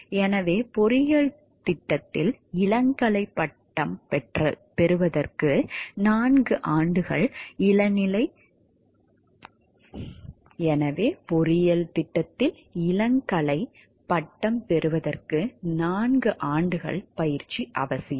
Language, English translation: Tamil, So, four years of undergraduate training leading to a bachelor degree in engineering program is essential